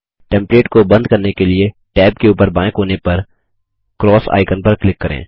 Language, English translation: Hindi, To close the template, click the X icon on the top left of tab